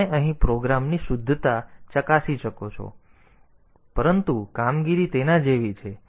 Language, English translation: Gujarati, So, correctness of the program, you can verify, but the operations are like that